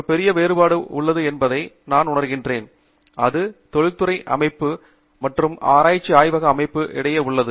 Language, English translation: Tamil, There is one major difference, I feel, that exists between industrial setting and research lab setting